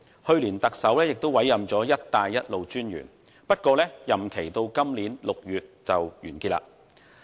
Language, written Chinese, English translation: Cantonese, 去年，特首也委任了"一帶一路"專員，不過，任期至今年6月底屆滿。, Last year the Chief Executive already appointed the Commissioner for Belt and Road . Nevertheless the tenure of the Commissioner will expire by the end of June this year